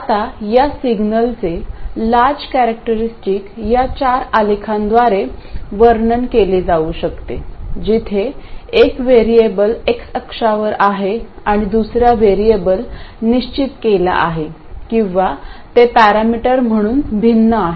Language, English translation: Marathi, Now, the large signal characteristics can be described by these four graphs where one of the variables is on the x axis and the other variable is fixed or it is varied as a parameter